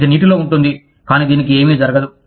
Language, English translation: Telugu, It will be in water, but nothing will happen to it